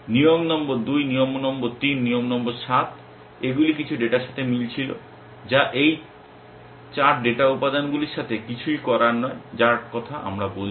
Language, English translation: Bengali, Rule number 2, rule number 3, rule number 7 they were matching with some data which is nothing to do with this 4 data elements that we are talking about